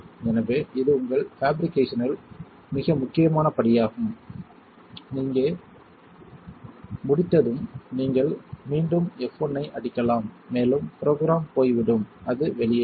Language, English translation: Tamil, So, this is a very important step in your fabrication when you are done here you can hit F1 again and the program will go away and it will say off